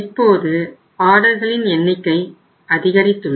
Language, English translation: Tamil, So now the number of orders have increased